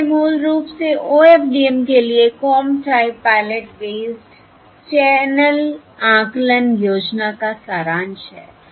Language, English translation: Hindi, So that is basically, in summary, the Comb Type Pilot based um channel estimation scheme for OFDM